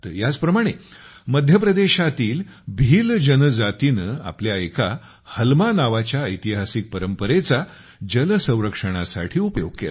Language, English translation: Marathi, Similarly, the Bhil tribe of Madhya Pradesh used their historical tradition "Halma" for water conservation